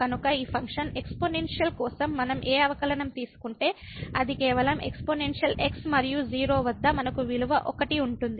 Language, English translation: Telugu, So, whatever derivative we take for this function exponential it is just the exponential and at 0 we have the value 1